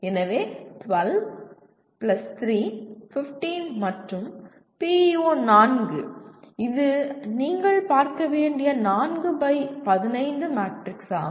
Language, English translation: Tamil, So 12+3, 15 and PEO 4 it is a 4 by 15 matrix that you have to see